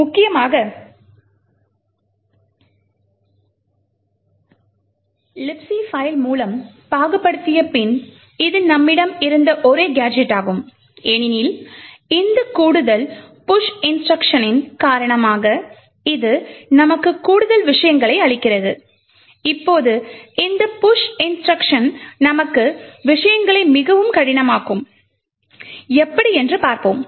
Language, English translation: Tamil, Essentially after parsing through the libc file this is the only gadget which we had and unfortunately for us it has complicated things for us because of this additional push instruction